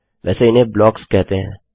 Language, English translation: Hindi, These are called blocks, by the way